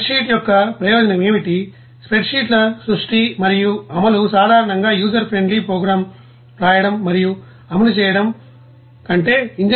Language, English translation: Telugu, Now what is the advantage of spreadsheet, one advantage of spreadsheet is that the creation and execution of spreadsheets usually involves significantly less effort than writing and running a user friendly program